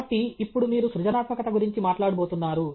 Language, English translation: Telugu, So, now, you are going to talk about creativity